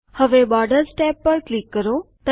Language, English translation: Gujarati, Now click on the Borders tab